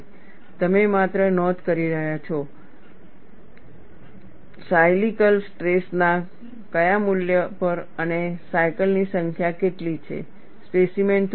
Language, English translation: Gujarati, You are only noting down, at what value of cyclical stress and what is the number of cycles, the specimen breaks